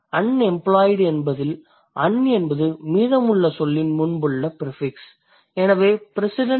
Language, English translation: Tamil, When I say unemployed, un is the prefix that precedes the rest of the word, right